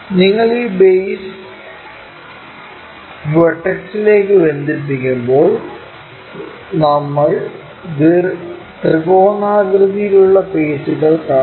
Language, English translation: Malayalam, When you are connecting this base all the way to vertex, we will see triangular faces